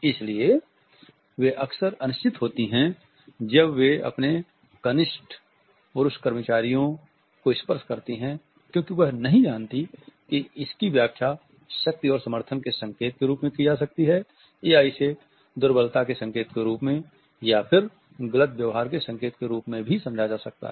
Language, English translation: Hindi, So, they are often unsure whether they are touch to their junior male employees may be interpreted as an indication of power and support or it may be misconstrued as an indication of either weakness or even of flirtatious attitudes